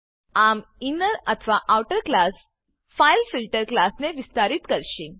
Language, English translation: Gujarati, This inner or outer class will extend the fileFilter class